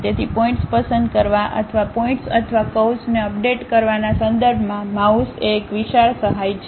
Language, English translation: Gujarati, So, mouse is a enormous help for us in terms of picking the points or updating the points or curves